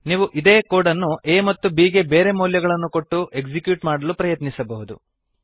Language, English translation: Kannada, You can try executing this code with different values of a and b